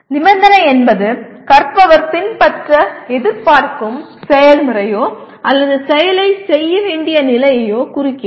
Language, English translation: Tamil, Condition represents the process the learner is expected to follow or the condition under which to perform the action